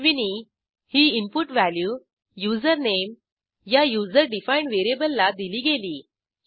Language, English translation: Marathi, ashwini was assigned as an input value to the user defined variable username